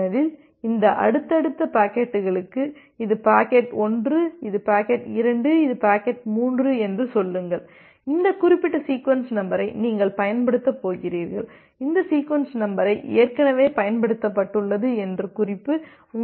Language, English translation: Tamil, Because for this subsequent packets, say this is packet 1, this is packet 2, this is packet 3, for the subsequent packets you have this referencing, the reference of the sequence number that which particular sequence number you are going to use based on what sequence number has already been utilized